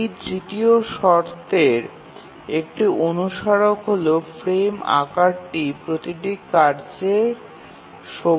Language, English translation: Bengali, A corollary of this third condition is that the frame size has to be greater than every task period